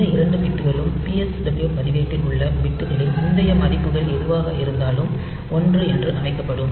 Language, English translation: Tamil, So, these two bits will be set to one whatever be the previous values of the bits in PSW register